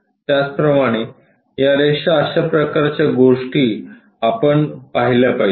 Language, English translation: Marathi, Similarly, these lines such kind of things we are supposed to see